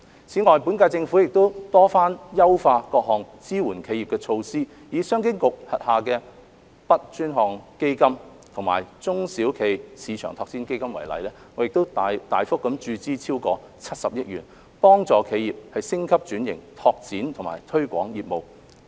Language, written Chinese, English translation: Cantonese, 此外，本屆政府亦多番優化各項支援企業的措施，以商務及經濟發展局轄下的 BUD 專項基金及中小企業市場推廣基金為例，我們大幅注資超過70億元，幫助企業升級轉型、拓展和推廣業務。, Besides the current - term Government has also repeatedly enhanced various measures for supporting enterprises . Taking the Dedicated Fund on Branding Upgrading and Domestic Sales the BUD Fund and the SME Export Marketing Fund under the Commerce and Economic Development Bureau CEDB as examples we have injected a substantial amount of over 7 billion to help enterprises upgrade and restructure expand and promote their businesses